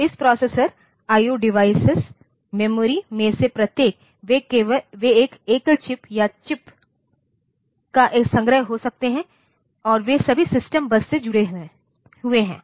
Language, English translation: Hindi, So, each of this processor I/O device memory, they may be a single chip or a collection of chips and they are all connected to the system bus